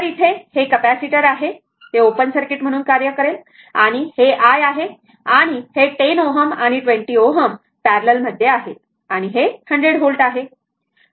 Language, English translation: Marathi, So, this is the capacitor was there it will act as an open circuit and this is i and this 10 ohm and 20 ohm are in parallel and this is 100 volt, right